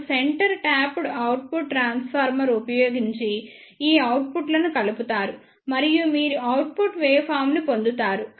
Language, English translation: Telugu, Now, using the centre tapped output transformer these outputs are combined and you will get the output waveform like this